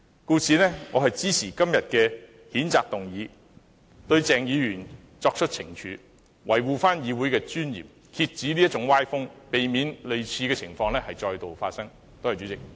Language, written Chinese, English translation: Cantonese, 故此，我支持今天的譴責議案，對鄭議員作出懲處，維護議會的尊嚴，遏止這種歪風，避免類似情況再度發生。, Therefore I support todays censure motion to take punitive action against Dr CHENG defend the dignity of the Council arrest such undesirable trends and prevent similar incidents from recurring